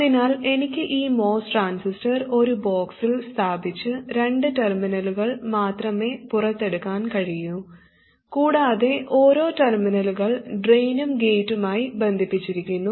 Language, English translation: Malayalam, So I could put this most transistor in a box and bring out only two terminals and one of the terminals is connected to both the drain and the gate